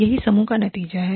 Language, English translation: Hindi, That is the team outcome